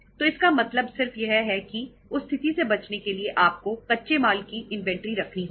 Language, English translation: Hindi, So it means just to avoid that situation you have to keep the inventory of raw material